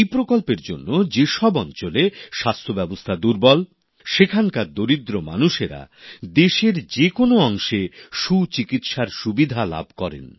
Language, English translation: Bengali, Due to this scheme, the underprivileged in any area where the system of health is weak are able to seek the best medical treatment in any corner of the country